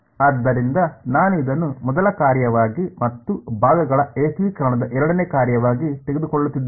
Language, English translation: Kannada, So, I am taking this as the first function and this as the second function in integration by parts